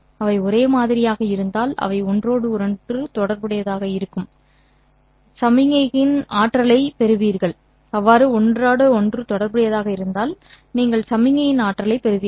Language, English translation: Tamil, If they are perfectly correlated, like if they are the same, then you get to the energy of the signal